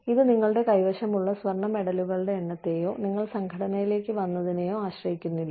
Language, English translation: Malayalam, It is not dependent, on the number of gold medals, you have, or what you came to the organization, with